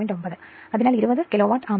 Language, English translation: Malayalam, 9; so, 20 Kilovolt Ampere